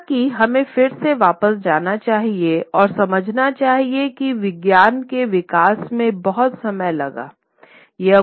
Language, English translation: Hindi, However, we must again go back and understand that this development of science, it took a lot of time